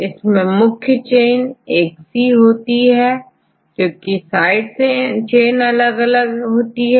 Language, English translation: Hindi, So, here the main chain is the same and side chain is different right